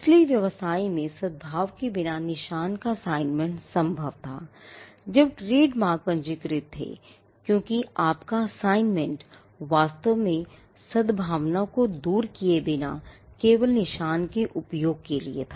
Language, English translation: Hindi, So, assignment of marks without assigning the business or the goodwill in the business was possible, when trademarks were registered, because your assignment was only for the use of the mark without actually giving away the goodwill along with it